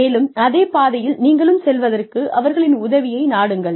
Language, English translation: Tamil, And, seek their help, in moving along, on the same path